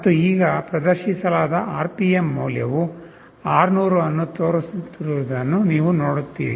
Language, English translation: Kannada, And now, you see the RPM value displayed is showing 600